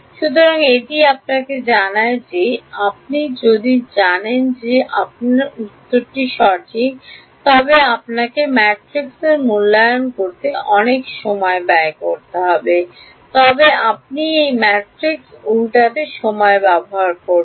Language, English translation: Bengali, So, that tells you that you know if you wanted a very accurate answer you would have to spend a lot of time in evaluating the matrix itself, then you would spend time in inverting that matrix